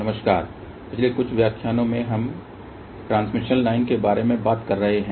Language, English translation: Hindi, Hello, in the last few lectures we have been talking about transmission line